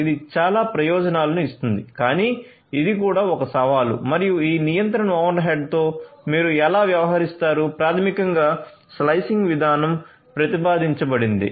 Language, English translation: Telugu, It gives lot of benefits, but it is also a challenge and how do you deal with this control overhead for this basically the slicing mechanism has been proposed